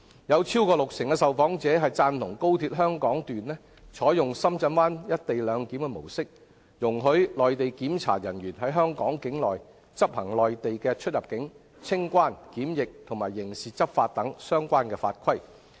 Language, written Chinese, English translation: Cantonese, 有超過六成受訪者贊同高鐵香港段採用深圳灣"一地兩檢"的模式，容許內地檢查人員在香港境內執行內地的出入境、清關、檢疫及刑事執法等相關法規。, More than 60 % of the interviewed supported the Hong Kong section of XRL adopting the Shenzhen Bay co - location model which allowed Mainland inspectors to enforce relevant Mainland regulations on customs immigration and quarantine procedures as well as criminal law within Hong Kong border